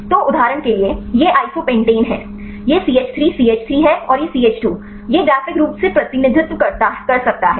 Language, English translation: Hindi, So, for example, this is the isopentane is here this is CH 3 CH 3 and the CH 2 this can graphically represented right